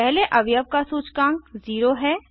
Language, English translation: Hindi, The index of the first element is 0